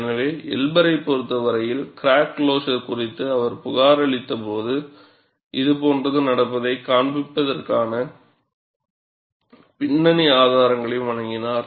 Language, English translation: Tamil, So, in the case of Elber, when he reported the crack closure, later he also provided fracto graphic evidence to show, such thing happens